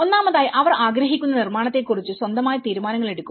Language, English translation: Malayalam, And first of all, making their own decisions about the construction they wanted